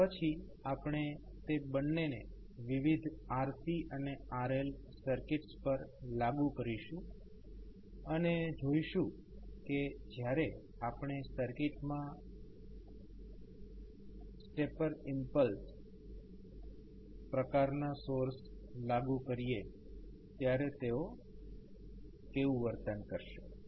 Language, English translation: Gujarati, And then we will apply both of them into the various RC and RL circuits and see how they will behave when we will apply either stepper impulse type of sources into the circuit, Thank You